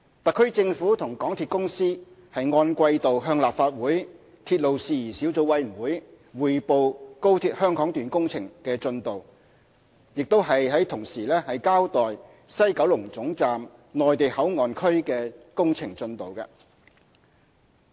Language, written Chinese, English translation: Cantonese, 特區政府和港鐵公司按季度向立法會鐵路事宜小組委員會匯報高鐵香港段工程進度，亦同時交代西九龍總站"內地口岸區"的工程進度。, The quarterly reports submitted by the Government and MTRCL to the Subcommittee on Matters Relating to Railways of the Legislative Council on the construction progress of the Hong Kong section of XRL also cover the construction progress of the Mainland Port Area at WKT